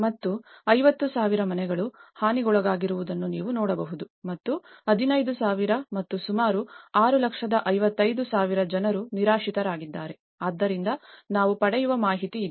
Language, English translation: Kannada, And a huge damage you can see that 50,000 houses were damaged and 15,000 and almost 655,000 became homeless so, this is the kind of data which we get